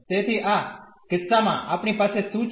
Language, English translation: Gujarati, So, in this case what do we have